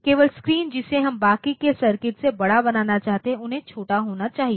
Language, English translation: Hindi, Only the screen we want to be larger rest of the circuit they should be small